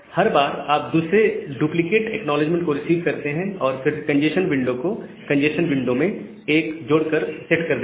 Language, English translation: Hindi, So, each time you receive another duplicate acknowledgement, you set the congestion window to congestion window plus 1, you increase the congestion window value